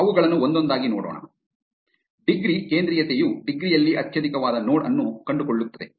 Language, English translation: Kannada, Let us look at them one by one; in degree centrality finds the node with highest in degree